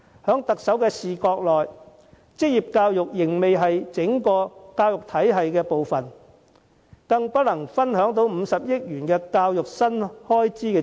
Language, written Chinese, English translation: Cantonese, 從特首的角度，職業教育仍不屬於教育體系的一部分，無法受惠於50億元的教育新資源。, Thus vocational education is not yet regarded as part of the education system and will not share the 5 billion new educational resources